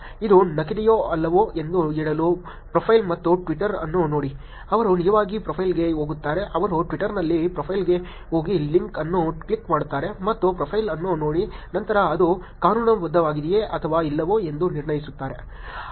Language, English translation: Kannada, Look at the profile and Twitter to say whether it is fake or not, they would actually go to the profile, they would click on the link in go to the profile in Twitter look at the profile and then make a judgment whether it is legitimate or not